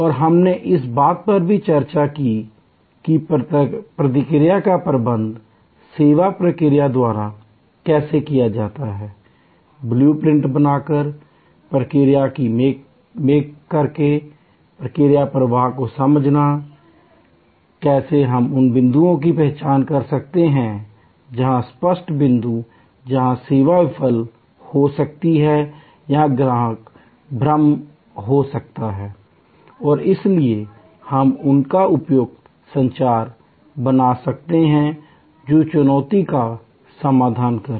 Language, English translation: Hindi, And we also discussed, how by managing the process, the service process by understanding the process flow, by mapping the process, by creating the blue print, how we can identify points, where the touch points where the service may fail or the customer may have confusion and therefore, we can create their suitable communication, that will resolve the challenge